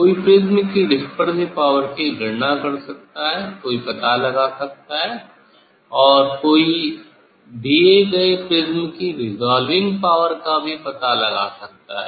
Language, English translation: Hindi, dispersive power of the prism one can calculate, one can find out, also one can find out the resolving power of the given prism